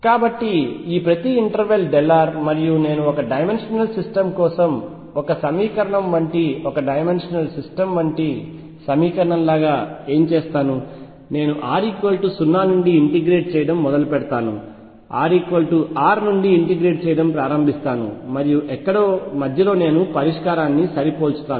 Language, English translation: Telugu, So, each of this interval is delta r and what I will do like the equation for one dimensional systems essentially a one dimensional like system, I will start integrating from r equals 0 onwards start integrating from r equals R inwards and somewhere in between I will match the solution